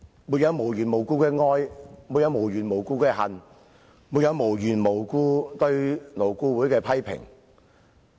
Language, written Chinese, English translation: Cantonese, 沒有無緣無故的愛，沒有無緣無故的恨，沒有無緣無故對勞工顧問委員會的批評。, One does not love without a reason; one does not hate without a reason; and one does not criticize the Labour Advisory Board LAB without a reason